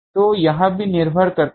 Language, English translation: Hindi, So, also that depends